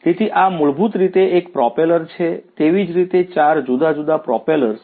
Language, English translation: Gujarati, So, this is basically one propeller likewise there are 4 different propellers